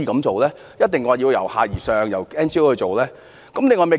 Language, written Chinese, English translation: Cantonese, 為何一定要由下而上，要由非政府組織負責？, Why should the Government necessarily adopt the bottom - up approach and make NGOs responsible for the projects?